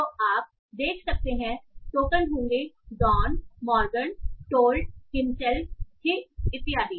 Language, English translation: Hindi, So you can see the tokens are Dan Morgan told himself he and so and so forth